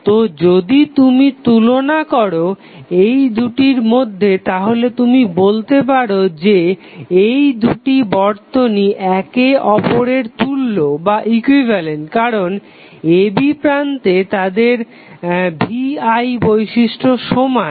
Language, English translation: Bengali, So, if you compare these two we can say that these two circuits are equivalent because their V I characteristics at terminal a and b are same